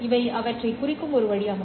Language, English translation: Tamil, These are just the way of representing them